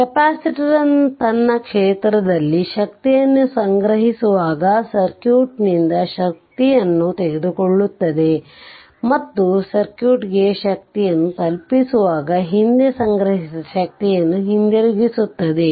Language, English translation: Kannada, Capacitor takes power from the circuit when storing energy in its field right and returns previously stored energy when delivering power to the circuit right